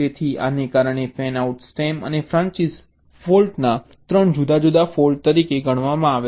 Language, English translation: Gujarati, alright, so because of this, the faults of the fanout stem and the branches, they are considered as three different faults